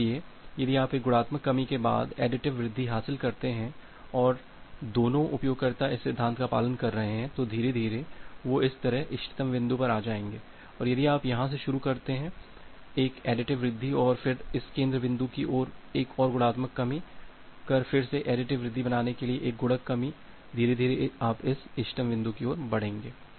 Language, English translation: Hindi, So, if you are making as an additive increase followed by a multiplicative decrease gain a additive increase followed by a multiplicative decrease and both the users are following this principle, gradually, they will come to the optimal point similarly if you start from here you make a additive increase and then towards this center point make a multiplicative decrease again make a additive increase make a multiplicative decrease gradually you will move towards this optimal point